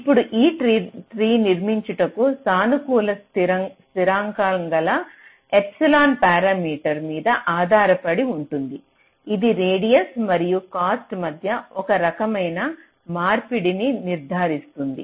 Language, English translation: Telugu, now the way this tree is constructed is based on parameter epsilon, which is a positive constant which determines some kind of a tradeoff between radius and cost